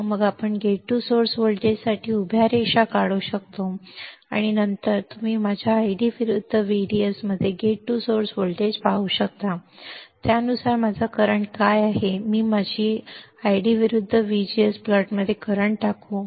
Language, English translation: Marathi, And then we can draw vertical lines for the gate source voltage and then you can see for gate to source voltage in my ID versus VDS, what is my current according to that I will put the current in my I g versus VGS plot this is how I derive my transfer characteristics for the enhancement type MOSFET